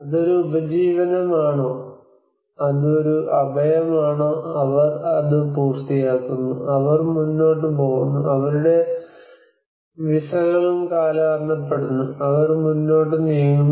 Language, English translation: Malayalam, Whether it is a livelihood dimension, whether it is a shelter dimension, they finish that, and they move on, their visas are also expire, and they move on